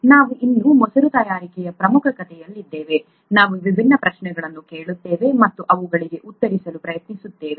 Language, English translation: Kannada, We are still in the major story of curd making, we are asking different questions and trying to answer them